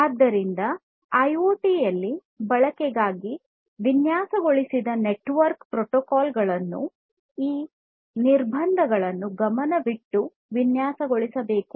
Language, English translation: Kannada, So, network protocols that are designed for use in IoT should be designed accordingly keeping these constraints in mind